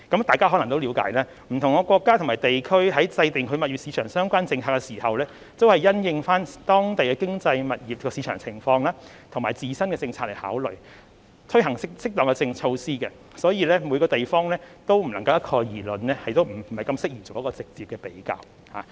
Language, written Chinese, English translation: Cantonese, 大家可能也了解，不同國家和地區在制訂物業市場相關政策時，都是因應當地的經濟、物業市場情況和自身政策來考慮，以推行適當的措施，因此，每個地方都不能一概而論，亦不適宜作直接的比較。, Members may also understand that in formulating property market policies different countries and regions will consider their local economy property market conditions and their own policies before launching appropriate measures . Hence we cannot make generalization for all places and it is inappropriate to make direct comparisons